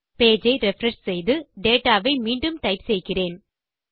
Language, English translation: Tamil, What I will do now is refresh this page and retype my data